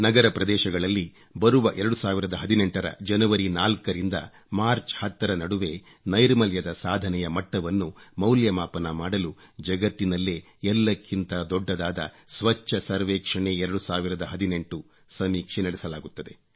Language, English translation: Kannada, Cleanliness Survey 2018, the largest in the world, will be conducted from the 4th of January to 10th of March, 2018 to evaluate achievements in cleanliness level of our urban areas